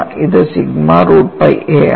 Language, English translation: Malayalam, It is sigma root pi a